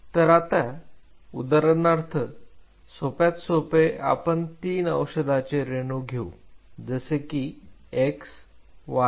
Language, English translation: Marathi, So, now, say for example, to keep it simple you have three different drug molecules x y and z right